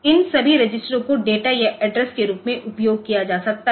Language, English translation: Hindi, So, they can be now, all these registers can be used as data or address